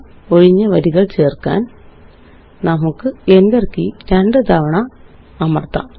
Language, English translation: Malayalam, We can press the Enter key twice to add two blank lines